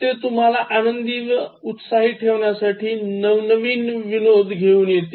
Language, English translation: Marathi, So, they come out with better jokes to make you cheerful